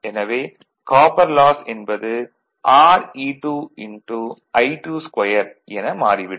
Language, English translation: Tamil, Therefore, copper loss will be say R e 2 into I 2 square